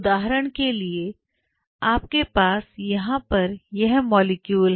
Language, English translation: Hindi, For example, you have this molecule out here